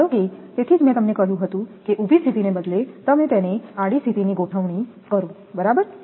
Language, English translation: Gujarati, Suppose that that is why I told you that rather than vertical position you arrange it horizontal position right